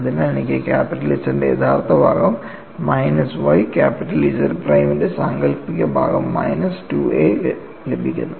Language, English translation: Malayalam, So, I get real part of capital Z minus y imaginary part of capital Z prime minus 2A